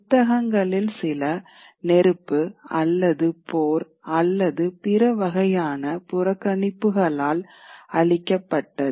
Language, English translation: Tamil, So certain book will not get destroyed by fire or war or other kinds of neglect